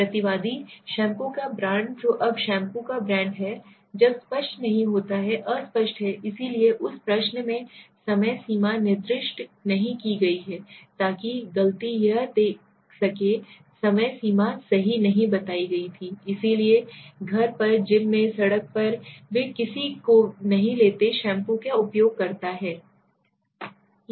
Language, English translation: Hindi, The respondent, the brand of shampoo what now brand of shampoo, when unclear so that was unclear right, so the time frame is not specified in that question so that was the mistake see this time frame was not explain right, so where at home, at the gym, on the road nobody they takes uses shampoo